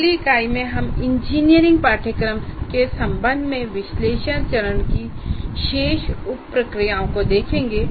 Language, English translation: Hindi, And in the next unit, we will look at the remaining sub processes of analysis phase with respect to an engineering course